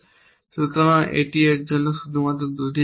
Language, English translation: Bengali, So, this leaves only 2 for this